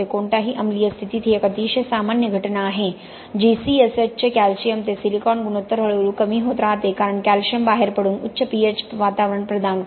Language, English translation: Marathi, In any acidic condition this is a very common phenomenon that happens is that the calcium to silicon ratio of C S H keeps progressively reducing because calcium wants to come out and provide a high pH environment, okay